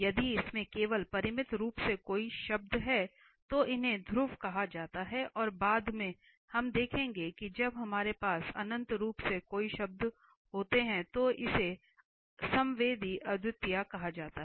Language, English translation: Hindi, If it has only finitely many terms then this is, these are called the poles and the later on we will see when we have infinitely many terms it is called the sensual singularity